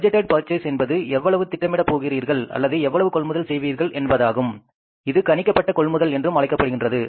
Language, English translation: Tamil, How much you are going to plan or you going to purchase that is called as the budgeted purchases or anticipated purchases